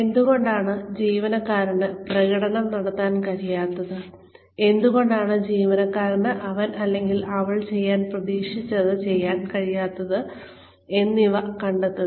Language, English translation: Malayalam, Find out, why the employee has not been able to perform, why the employee has not been able to do, what he or she was expected to do